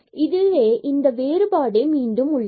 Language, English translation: Tamil, So, this difference again